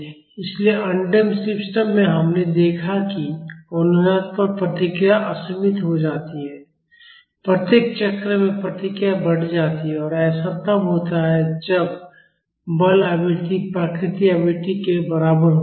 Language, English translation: Hindi, So, in undamped systems we have seen that at resonance the response becomes unbounded, the response increases in each cycle and that happened when the forcing frequency is equal to the natural frequency